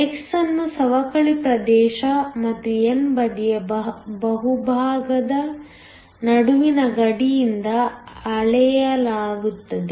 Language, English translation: Kannada, x is measured from the boundary between the depletion region and the bulk of the n side